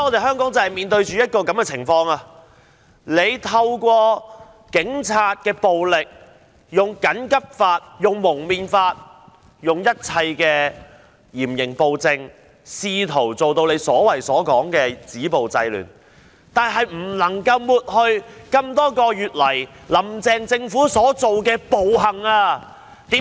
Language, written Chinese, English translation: Cantonese, 香港現在面對的正是這種情況，當局透過警察暴力、《緊急情況規例條例》、《禁止蒙面規例》，以及一切嚴刑暴政，試圖造成所謂的"止暴制亂"，但仍不能抹去多月以來"林鄭"政府所做的暴行。, This is aptly the situation Hong Kong is facing now . The authorities have resorted to police brutality the Emergency Regulations Ordinance the Prohibition of Face Covering Regulation and all kinds of stiff penalties and tyrannical policies to try to achieve the purpose of the so - called stopping violence and curbing disorder . Yet all of these can hardly whitewash the brutal acts done by the Carrie LAM Administration over the months